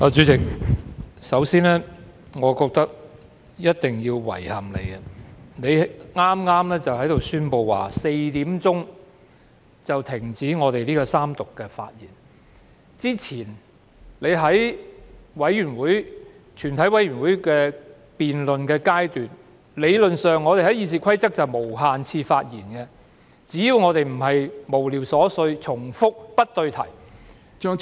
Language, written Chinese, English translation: Cantonese, 主席，首先，我認為一定要向你表示遺憾，你剛才宣布在4時便要停止三讀辯論的發言時間，而之前在全體委員會審議階段的辯論時，理論上《議事規則》是容許我們作無限次發言的，只要我們的內容非無聊、瑣碎、重複和不對題。, President first of all I think it is necessary for me to express my regret to you . You announced just now that you would put a halt to Members speeches in the Third Reading debate at four oclock . Nevertheless in the preceding debate at the Committee stage Members were in theory allowed under the Rules of Procedure RoP to speak for an unlimited number of times provided that our speeches were not frivolous trivial repetitive and irrelevant